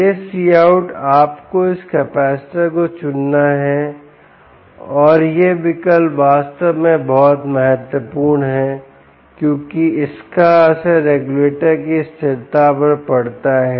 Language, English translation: Hindi, you have to choose this capacitor and this choice is indeed very critical because it has the bearing on the stability of the regulator